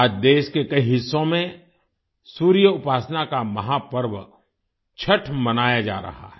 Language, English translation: Hindi, Today, 'Chhath', the great festival of sun worship is being celebrated in many parts of the country